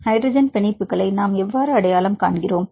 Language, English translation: Tamil, How to identify the hydrogen bonds